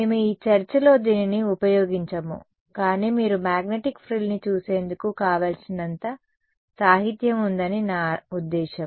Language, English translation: Telugu, We will not be using this in this discussion, but I mean there is enough literature all that you can look up magnetic frill